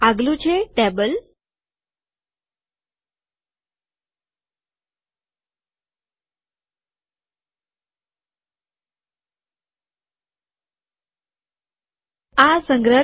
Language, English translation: Gujarati, The next one is the table